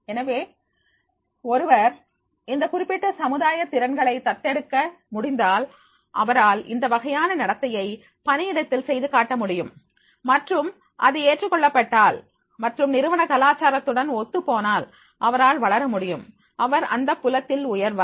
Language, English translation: Tamil, So, one who is able to adopt those particular social skills he will be able to demonstrate that type of behavior at the workplace and if it is acceptable and matching with the organization culture, he will grow, he will raise in the field